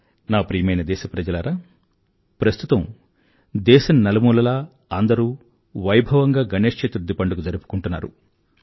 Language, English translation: Telugu, My dear countrymen, Ganesh Chaturthi is being celebrated with great fervor all across the country